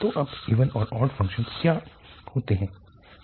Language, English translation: Hindi, So, now coming to the even and odd functions